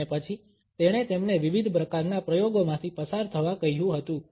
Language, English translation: Gujarati, And then he had asked them to undergo different types of experimentations